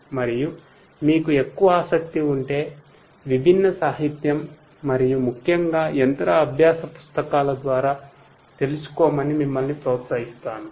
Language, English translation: Telugu, And, in case you are more interested you know you are encouraged to go through different literature and particularly the machine learning books